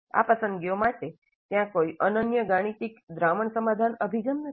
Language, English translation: Gujarati, And for these choices, there is no unique algorithmic solution approach